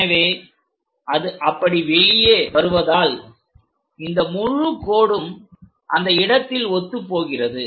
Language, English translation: Tamil, So, that one comes out like that and this entire line coincides to that point